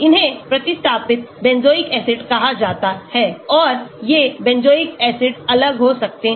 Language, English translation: Hindi, these are called substituted benzoic acids and these benzoic acid can dissociate